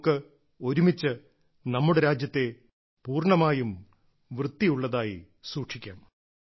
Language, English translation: Malayalam, Together, we will make our country completely clean and keep it clean